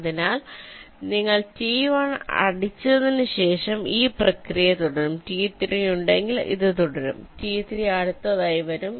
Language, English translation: Malayalam, after you hit t one, if there is a t three, that t three will come next